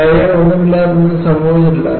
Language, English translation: Malayalam, Without failures, nothing has happened